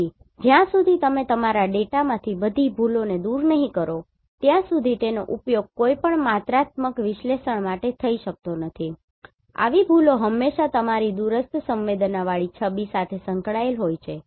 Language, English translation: Gujarati, So, unless until you do not remove all the errors from your data, it cannot be used for any quantitative analysis so such errors are always associated with your remotely sensed image